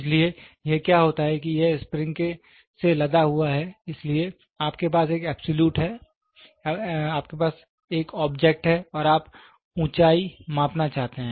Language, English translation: Hindi, So, what happens is it is spring loaded so, you have an object you want to measure the height